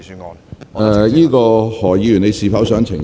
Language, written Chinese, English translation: Cantonese, 何君堯議員，你是否想澄清？, Dr Junius HO do you want to clarify?